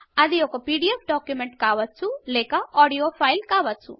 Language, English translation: Telugu, It could be a PDF document or an audio file